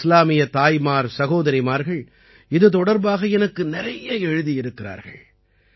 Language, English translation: Tamil, Our Muslim mothers and sisters have written a lot to me about this